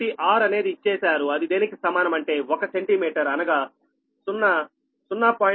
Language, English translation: Telugu, so r is equal to, given one centimeter is equal to zero point zero